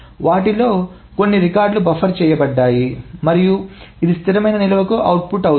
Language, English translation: Telugu, A couple of records are buffered together and then this is output to the stable storage